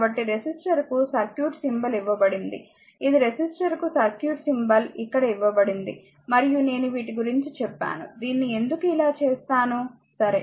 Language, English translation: Telugu, So, the circuit symbol for the resistor is given this is this is the circuit symbol for the resistor is given here and I told you something about these also why you will make it like this, right